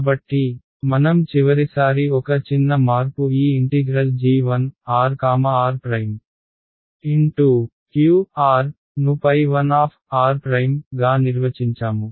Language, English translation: Telugu, So, one small change in what we did last time we had defined this integral g 1 q r as phi I